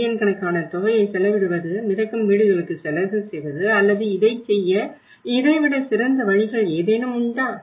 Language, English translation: Tamil, Spending billions of amount of, spending on floating houses or is there any better ways to do it